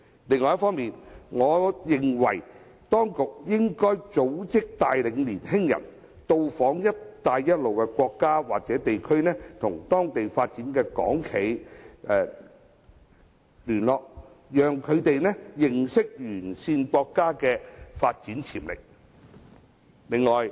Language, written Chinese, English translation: Cantonese, 此外，我認為當局應組織帶領青年人到訪"一帶一路"的沿線國家或地區，與在當地發展的港企聯絡，讓他們認識該等地區的發展潛力。, Moreover I think the authorities should arrange young people to visit the countries and places along the Belt and Road and maintain contacts with Hong Kong enterprises doing business there so that young people can learn about the development potentials in those areas